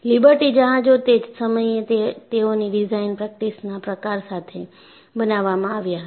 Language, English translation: Gujarati, Liberty ships were made with the kind of design practice they had at that time